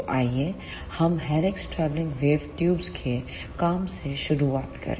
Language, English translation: Hindi, So, let us begin with working of helix travelling wave tubes